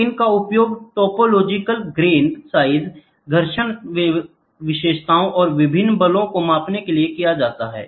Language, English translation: Hindi, So, it can be used to measure topological grain size frictional characteristics and different forces